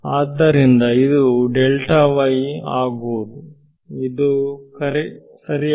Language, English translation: Kannada, So, this is actually ok